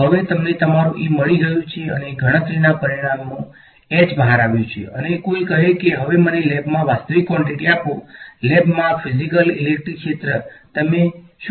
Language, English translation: Gujarati, Now you have got your e and h has come out as a result of a calculation and someone says now give me the actual quantity in lab, the physical electric field in lab, what would you do